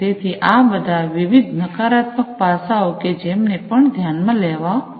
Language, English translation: Gujarati, So, these are the different negative aspects that will also have to be considered